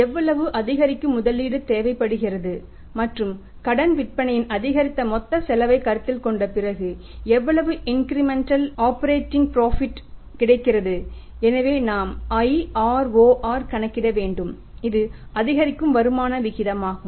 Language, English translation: Tamil, How much incremental investment is required and after considering the total cost of the increased credit sales how much is the incremental operating profit is there so we will have to calculate IROR that is a incremental rate of return right